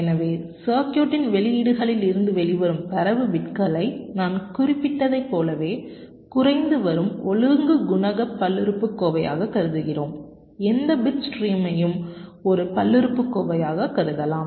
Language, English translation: Tamil, so we treat the data bits that are coming out of the outputs of the circuit as a decreasing order coefficient polynomial, just as i had mentioned that any bit stream can be regarded as a polynomial